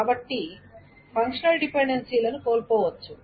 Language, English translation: Telugu, So functional dependencies may be lost